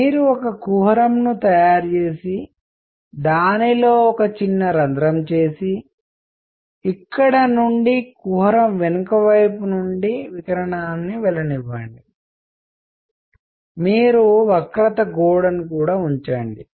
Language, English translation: Telugu, So, the trick is you make a cavity, make a small hole in it and let radiation go in from here on the back side of the cavity, you put zigzag wall